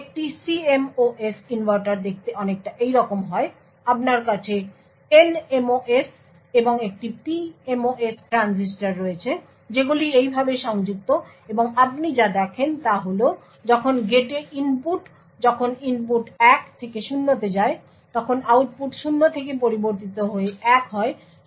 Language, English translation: Bengali, A CMOS inverter look something like this, you have and NMOS and a PMOS transistor which are connected in this manner and what you see is that when the input at the gate, when the input goes from 1 to 0, the output changes from 0 to 1